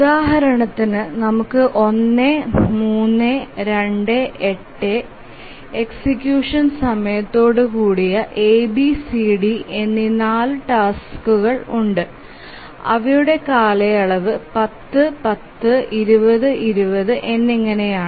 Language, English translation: Malayalam, We have 4 task sets A, B, C, D with execution time of 1, 3, 2, 8 and their periods are 10, 10, 20, 20